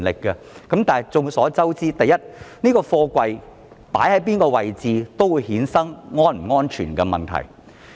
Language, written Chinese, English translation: Cantonese, 然而眾所周知，不論貨櫃放在哪一個位置，也會衍生安全問題。, Nevertheless we are all cognizant that there may be safety issues for containers stored in any location